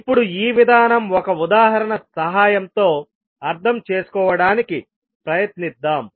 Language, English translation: Telugu, Now this particular approach let us try to understand with the help of one example